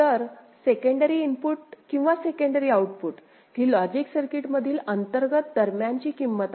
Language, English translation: Marathi, So, secondary input or secondary output these are internally generated intermediate values within the logic circuit